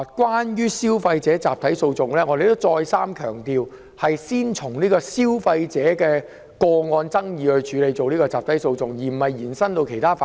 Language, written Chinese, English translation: Cantonese, 關於集體訴訟，我們已再三強調，會先就消費者個案引入集體訴訟，而不會把集體訴訟機制延伸至其他範疇。, Regarding class actions we have stressed time and again that the mechanism for class actions will first be introduced for handling consumer cases and will not be extended to other areas